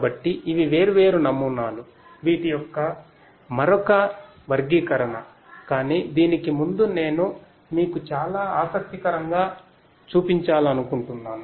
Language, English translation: Telugu, So, these are the different models another classification of these, but before that I wanted to show you something very interesting